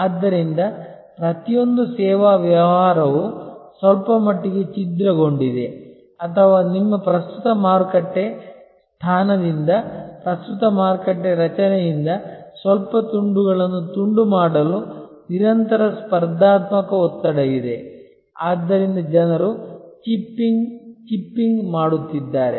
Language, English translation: Kannada, And so therefore, almost every service business is somewhat fragmented or there are constant competitive pressure to fragment slight taking slices away from the current market structure from your current market position, so people are chipping, chipping